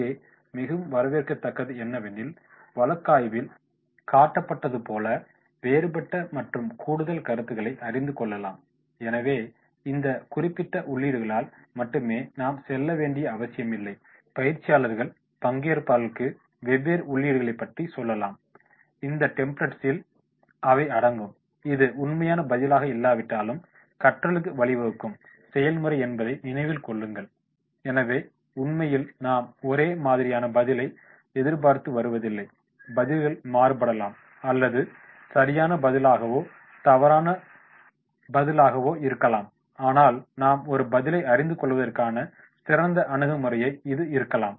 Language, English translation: Tamil, Here it will be very welcome of we can come out with the different and additional concepts then those shown here, so not necessarily that we have to go by this particular inputs only trainees were supposed to tell different inputs and then those includes will be incorporated in this template but remember it is not the actual answer but the process that leads to learning, so actually it is not we are coming out to an answer, answer may vary, answer maybe right, answer may be wrong but what we are coming out is the approach